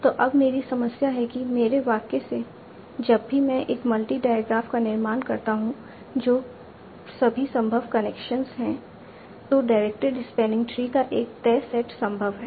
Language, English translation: Hindi, So now my problem is from my sentence whenever I construct a multi di graph that is all the possible connections, a fixed set of direct respanning trees are possible